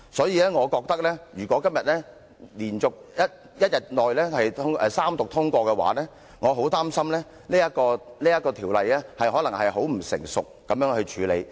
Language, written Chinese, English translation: Cantonese, 因此，我覺得如果今天一天之內三讀通過《條例草案》，我很擔心《條例草案》可能被很不成熟地處理。, Hence in my opinion if this Bill was passed after Third Reading within one day today I would feel very concerned that the Bill could have been dealt with in a most premature manner